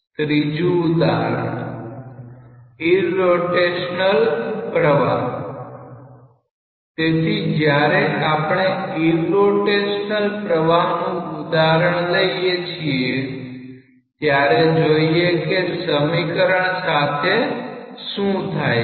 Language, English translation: Gujarati, Example 3: irrotational flow; so, when you take the example of irrotational flow let us see that what happens to the equation